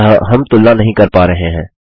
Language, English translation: Hindi, So we are not getting the comparison